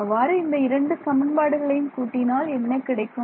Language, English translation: Tamil, Add these two equations if I add these two equations